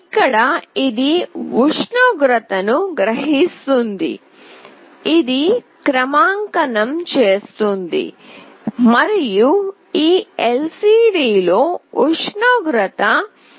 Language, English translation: Telugu, So, it will sense the temperature, do the calibration and display the temperature in this LCD